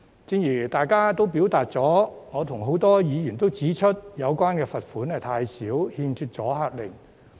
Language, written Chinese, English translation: Cantonese, 正如大家所表達的意見，我及多位議員也指出有關罰款太少，欠缺阻嚇力。, As with Members who have expressed their views many other Members and I have pointed out that the fine is too small and lacks deterrent effect